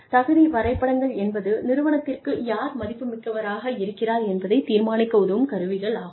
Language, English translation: Tamil, Merit charts are tools, that help us decide, who is worth, what to the organization